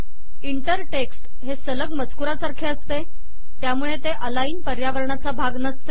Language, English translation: Marathi, Inter text is like running text, so this is not part of the align environment